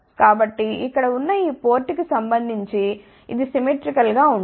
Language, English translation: Telugu, So, this is symmetrical with respect to this port over here